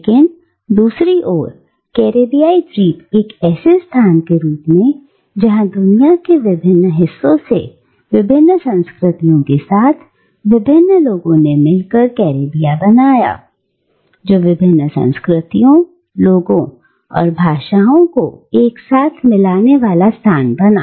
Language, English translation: Hindi, But, on the other hand, Caribbean island as a location, where various different people, with various different cultures from different parts of the world came together, made Caribbean, a huge melting pot of peoples, of cultures and of languages